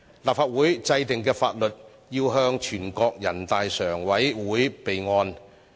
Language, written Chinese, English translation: Cantonese, 立法會制定的法律，要報全國人民代表大會常務委員會備案。, The laws enacted by the Legislative Council shall be reported to the Standing Committee of NPC for record